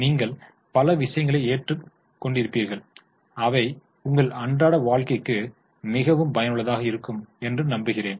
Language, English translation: Tamil, You would have learned many things and I hope they would be very much useful for your day to day life